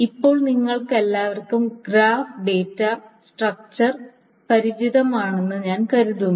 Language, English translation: Malayalam, Now I am assuming all of you are familiar with the graph data structure